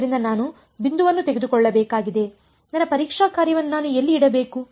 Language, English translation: Kannada, So, I just have to pick up point where should I place my testing function